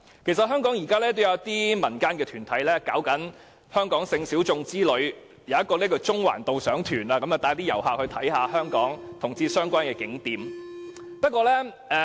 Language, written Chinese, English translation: Cantonese, 其實香港現時也有一些民間團體舉辦香港性小眾之旅，例如有一個中環導賞團會帶旅客參觀與同志相關的景點。, In fact some civil organizations are also organizing tours in Hong Kong that serve the sexual minorities . For example there is a guided tour in Central that guides tourists to LGBT - related spots in Hong Kong